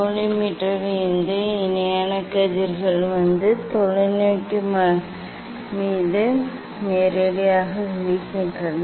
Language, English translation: Tamil, from collimator parallel rays are coming and directly falling on the telescope